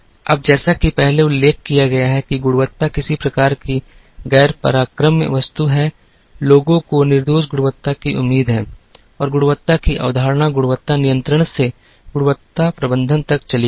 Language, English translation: Hindi, Now, quality as mentioned earlier is some kind of a non negotiable commodity, people expect flawless quality and the concept of quality moved from quality control to quality management